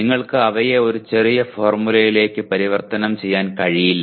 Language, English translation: Malayalam, You cannot convert them into a short formula